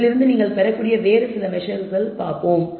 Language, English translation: Tamil, Let us look at some couple of other measures which you can derive from this